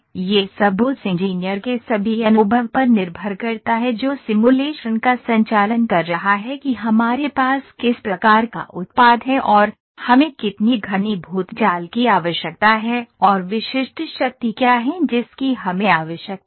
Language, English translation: Hindi, It all depends all the experience of the engineer who is conducting the simulation what kind of product do we have and how dense meshing do we need and what is the specific strength that we require